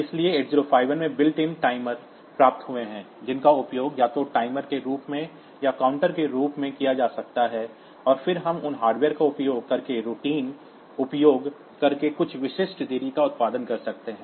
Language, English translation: Hindi, So, 8051 has got built in timers they can be used either as timer or as counter and then we can produce some specific delays using those routines using those hardware